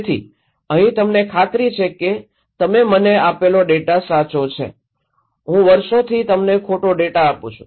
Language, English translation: Gujarati, So, here is this that are you sure that data you gave me is correct, I have been giving you incorrect data for years